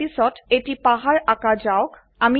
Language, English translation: Assamese, Next let us draw a mountain